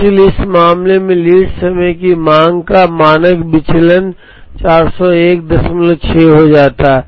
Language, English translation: Hindi, So the standard deviation of lead time demand becomes 401